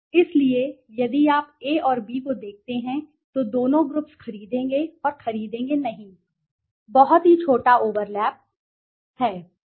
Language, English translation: Hindi, So, if you look at A and B the two groups would purchase and would not purchase, there is very small overlap, there is very small overlap